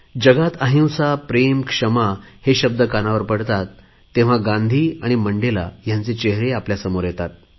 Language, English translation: Marathi, Whenever we hear the words nonviolence, love and forgiveness, the inspiring faces of Gandhi and Mandela appear before us